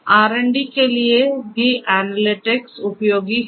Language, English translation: Hindi, So, for R and D also analytics is useful